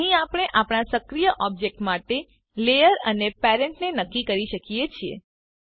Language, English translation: Gujarati, Here we can specify the layer and parent for our active object